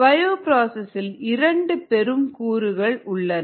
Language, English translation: Tamil, the bioprocess has two major aspects